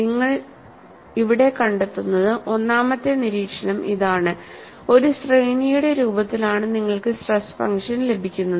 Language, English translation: Malayalam, And what you find here, you get the stress function in the form of a series that is the observation number one